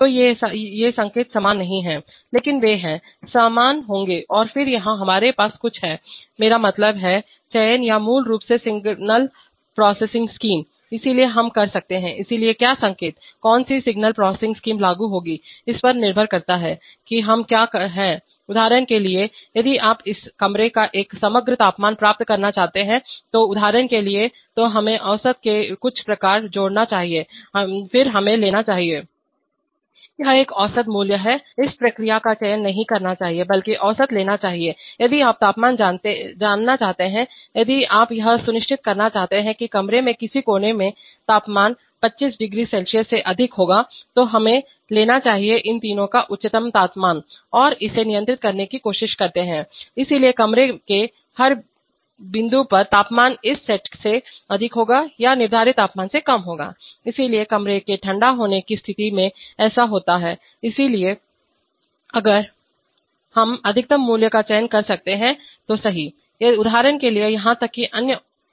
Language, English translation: Hindi, So these signals are not identical but they are, there will be similar and then here we have some, I mean, selection or basically signal processing scheme, so we can, so what signal, what signal processing scheme will apply, depends on what we want to achieve, so for example if you want to achieve an overall temperature of this room, so then we should, add some sort of an average then we should take, That, take an average value, this process should not select but rather take average, if you want to know, if you want to ensure that, in no corner of the room, the temperature will be more than 250C, then we should take the highest temperature of these three and try to control that, so temperature at every point of the room will be more than this set or the will be less than the set temperature, so in case of room cooling that that is the case, so in that case we can you can choose the maximum value, right, there are even other applications for example sometimes you know there are very catastrophic effects can occur in, occur in feedback control loops if one of the sensors feel